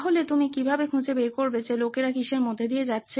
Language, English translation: Bengali, So how do you really find out what people are going through